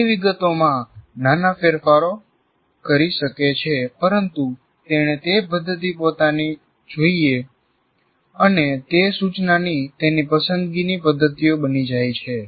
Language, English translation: Gujarati, He can make minor modifications to the details, but he must create, he must own those methods and they become his preferred methods of instruction